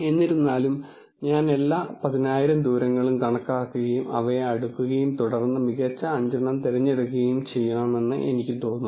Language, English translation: Malayalam, However, it looks like I have to calculate all the 10,000 distances and then sort them and then pick the top 5